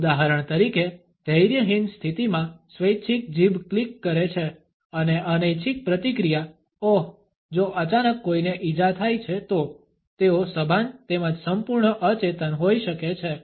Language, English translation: Gujarati, For example, a voluntary tongue clicking in impatiens and involuntary reaction ooh if suddenly one is hurt, they may be conscious as well as totally unconscious